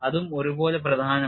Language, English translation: Malayalam, This is very important